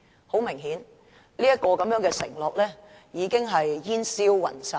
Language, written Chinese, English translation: Cantonese, "很明顯，這個承諾已經煙消雲散。, Obviously this undertaking has vanished into thin air